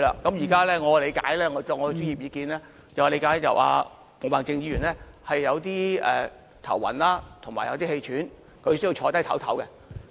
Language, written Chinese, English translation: Cantonese, 根據我的專業意見，我理解到毛孟靜議員感到有點頭暈及氣喘，需要坐下稍事休息。, According to my professional opinion I understand that Ms Claudia MO feels a bit dizzy and short of breath so she needs to sit down and rest for a while